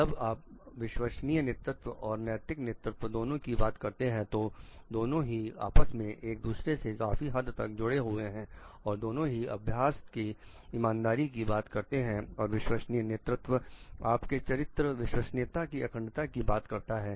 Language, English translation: Hindi, When you are talking of authentic leadership and ethical leadership both are very much linked with each other which talks of like fairness of practices and authentic leadership talks of the integrity of your character genuineness